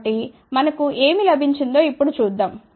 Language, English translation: Telugu, So, let us see now what we got